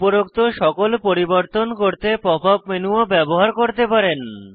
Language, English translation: Bengali, We can also use the Pop up menu to do all the above modifications